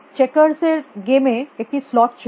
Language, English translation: Bengali, Checkers the game of checkers was slot